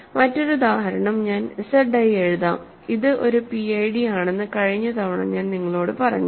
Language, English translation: Malayalam, Another example I will write Z i which I told you as a fact last time that it is a PID